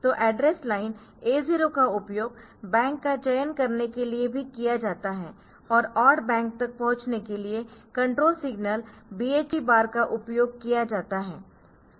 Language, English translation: Hindi, So, address line 80 is used to select even bank and control signal BHE bar is used to select the access the odd bank